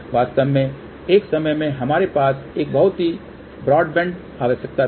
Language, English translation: Hindi, In fact, at one time, we had a one very broad band requirement